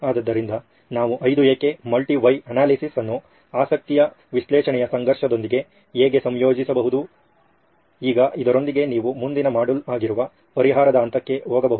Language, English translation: Kannada, So this is how we can deal with the five whys, multi why analysis combining it with the conflict of interest analysis, now with this you can go onto the solve stage, which is a next module